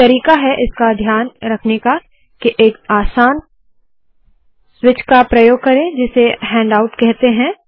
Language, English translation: Hindi, One way to do that, to take care of this is to use a simple switch here called handout